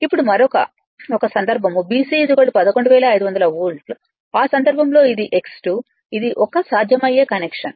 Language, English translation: Telugu, Now, another 1 case is BC is equal to your 11500 volts, in that case this is V 2, this is 1 possible connection